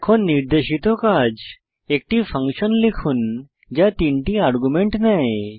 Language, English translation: Bengali, Here is assignment for you Write a function which takes 3 arguments